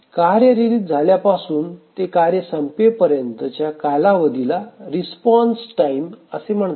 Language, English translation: Marathi, So the time from release of the task to the completion time of the task, we call it as a response time